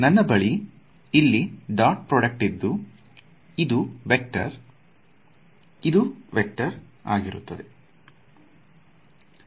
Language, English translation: Kannada, So, I have its like the dot product of two things over here right; this is a vector, this is a vector